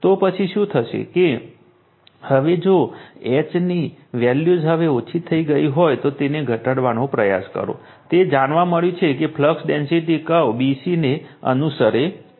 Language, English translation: Gujarati, So, after that what you will do that your now if the values of H is now reduce it right you try to reduce, it is found that flux density follows the curve b c right